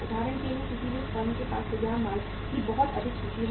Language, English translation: Hindi, For example any firm has a very high inventory of the finished goods